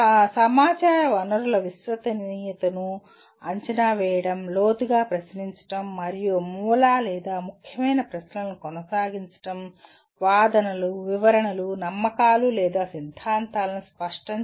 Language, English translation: Telugu, Evaluating the credibility of sources of information; questioning deeply raising and pursuing root or significant questions; clarifying arguments, interpretations, beliefs or theories